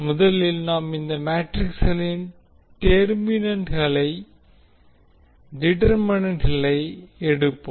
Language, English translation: Tamil, In this case also, we will first determine the value of determinant of this matrix